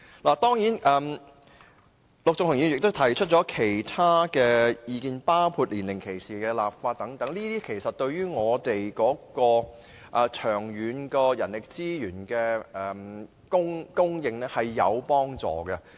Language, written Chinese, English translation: Cantonese, 陸頌雄議員也提出了其他意見，包括就年齡歧視立法等，這些建議對於人力資源的長遠供應是有幫助的。, Mr LUK Chung - hung has also made other suggestions including the enactment of legislation against age discrimination which is conducive to manpower supply in the long run